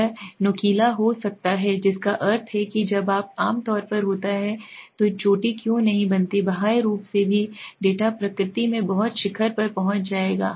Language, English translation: Hindi, It becomes peaked that means why does not it become peaked the generally when there is an outlier also the data will become very peaked in nature okay